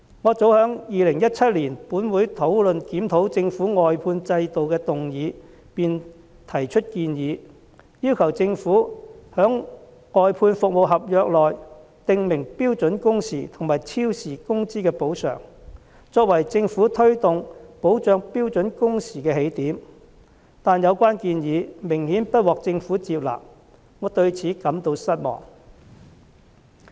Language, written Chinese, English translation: Cantonese, 我早在2017年，本會討論檢討政府外判制度的議案時便提出建議，要求政府在外判服務合約中，訂明標準工時和超時工資的補償，作為政府推動保障標準工時的起點，但有關建議顯然不獲政府接納，我對此感到失望。, As early as 2017 during the motion debate of this Council on reviewing the government outsourcing system I proposed stipulating in the outsourcing service contracts the terms and conditions on standard working hours and compensation for overtime work as the starting point for the Government in promoting standard working hours . But to my disappointment my proposal was apparently not accepted by the Government